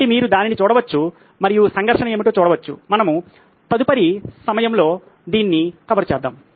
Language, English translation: Telugu, So you can look at it and see what the conflict are, we will cover this in the next time